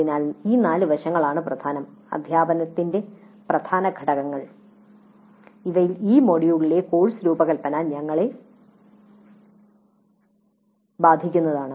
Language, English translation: Malayalam, So these four aspects are the key aspects, key components of teaching and in this we were concerned with design of course in this module